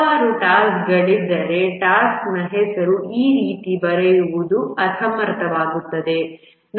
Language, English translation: Kannada, If there are too many tasks, it becomes unwieldy to write the task name like this